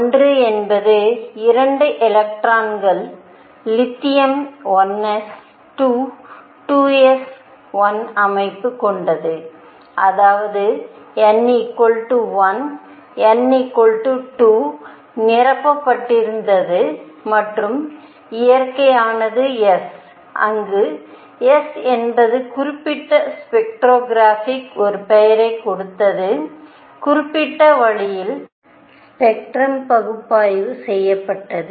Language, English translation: Tamil, 1 is 2 electrons, lithium had 1 s 2, 2 s 1 structure; that means, there was n equals 1 n equals 2 were filled and the nature was s where s was given a name to certain spectroscopic, way the certain way the spectrum was analyzed